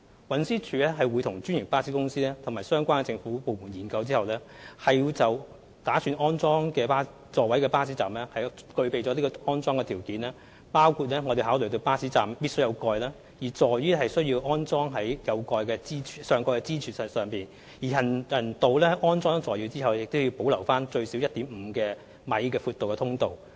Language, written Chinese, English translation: Cantonese, 運輸署會和專營巴士公司及相關政府部門進行研究，確保擬安裝座位的巴士站具備有關條件，包括該巴士站必須設有上蓋，座椅必須安裝在上蓋的支柱，而行人道在安裝座椅後亦須留有最少 1.5 米寬的通道。, TD will examine with franchised bus companies and the government departments concerned to ensure that planned works to install seats at bus stops have met various requirements which include the provision of a bus shelter at the bus stop concerned seats should be installed at the columns of the bus shelter and there should be a passageway with a width of at least 1.5 m on the pavement after the installation of seats